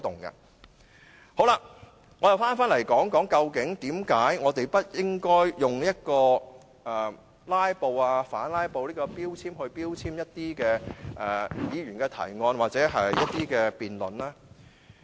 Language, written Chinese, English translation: Cantonese, 我再談談為何我們不應該用"拉布"、反"拉布"來標籤一些議員的提案或辯論呢？, I will further discuss why we should not label the moving of motions or debates by some Members as filibustering or counter filibustering